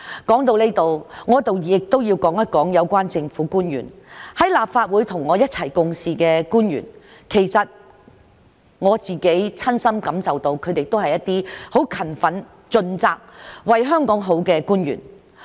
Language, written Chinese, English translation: Cantonese, 說到這裏，我要說說有關政府官員——在立法會與我一同共事的官員——其實我親身感受到他們是很勤奮盡責、為香港好的官員。, At this point I would like to talk about government officials those I have worked with in the Legislative Council . In fact I personally find them very hardworking and dedicated to the good of Hong Kong